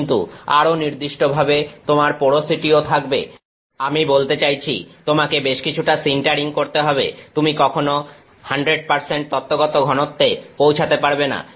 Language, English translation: Bengali, But, more specifically you can also have porosity you will have, I mean you will have to do a fair bit of centering you will never reach 100% theoretical density